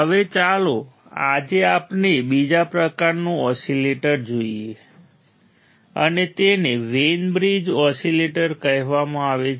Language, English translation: Gujarati, Now, today let us see let us see another kind of oscillator another kind of oscillator and that is called Wein bridge oscillator Wein bridge oscillator